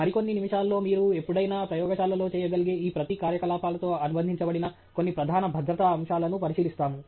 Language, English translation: Telugu, And in next several minutes, we will look at at least some of the major safety aspects associated with each of these activities that you may do in a lab sometime